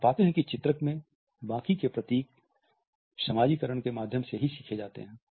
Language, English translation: Hindi, We find that the rest of the emblems in illustrators are learnt through socialization only